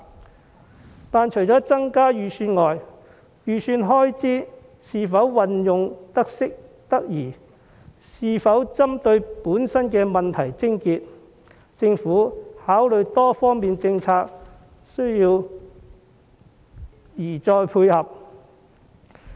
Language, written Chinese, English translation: Cantonese, 可是，除了增加預算外，預算開支是否運用得宜，以及是否針對問題癥結，政府在考慮多方面政策時宜再作配合。, However apart from increasing the estimate the Government should also consider whether the estimated expenditure is spent properly and targets at the crux of the problem in formulating various policies